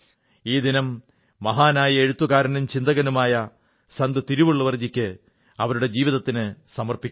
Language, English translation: Malayalam, This day is dedicated to the great writerphilosophersaint Tiruvalluvar and his life